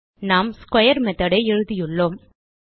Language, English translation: Tamil, So we have written a square method